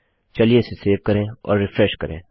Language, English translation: Hindi, Lets save that and well refresh